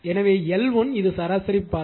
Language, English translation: Tamil, So, L 1 if you see that this is actually mean path